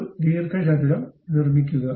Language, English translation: Malayalam, Construct a rectangle, done